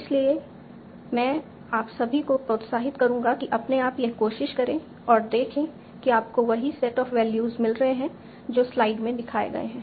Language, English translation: Hindi, So I will encourage all of you that you should try this on your own and see that you can get the same set of values that have been shown in this slide